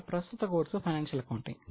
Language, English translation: Telugu, Now, this particular course is on financial accounting